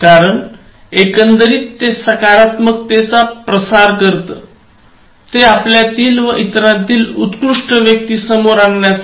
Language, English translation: Marathi, Because, overall it tries to spread positivity, it tries to bring the best in human beings, both in you as well as in the other person